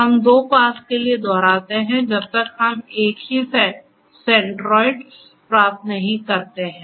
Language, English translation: Hindi, We repeat until for two passes we get the same centroid